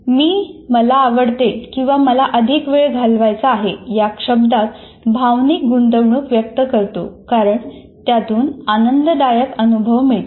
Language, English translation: Marathi, So I put emotional investment in that in terms of saying that I like, I want to spend more time and because it leads a certain pleasurable experiences and so on